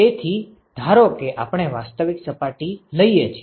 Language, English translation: Gujarati, So, supposing we take real surface